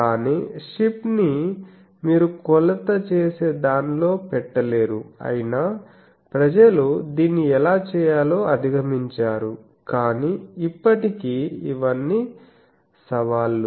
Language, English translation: Telugu, But ship you cannot come and put into an measurement things, so but people have overcome that how to do that, but still these are all challenges